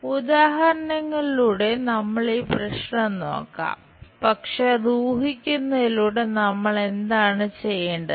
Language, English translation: Malayalam, We will look at this problem through examples, but by guessing it what we have to do